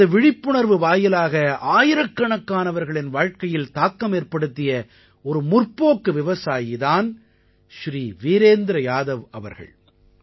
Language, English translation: Tamil, Shri Virendra Yadav ji is one such farmer entrepreneur, who has influenced the lives of thousands through his awareness